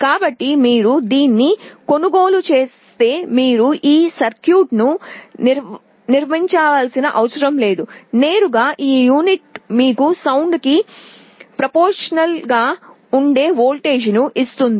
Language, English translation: Telugu, So, if you buy it you need not have to construct this circuit, directly this unit will give you a voltage that will be proportional to the sound